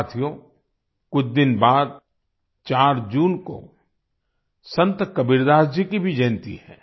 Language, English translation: Hindi, Friends, a few days later, on the 4th of June, is also the birth anniversary of Sant Kabirdas ji